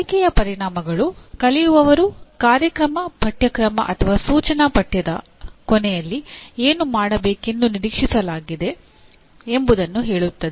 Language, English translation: Kannada, Learning outcomes are what the learners are expected to do at the end of a program, a course or an instructional unit